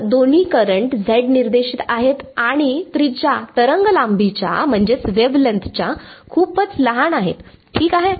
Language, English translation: Marathi, So, both currents are z directed and radius is much smaller than wavelength ok